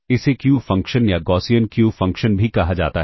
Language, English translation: Hindi, This is also termed as a Q function or the Gaussian Q function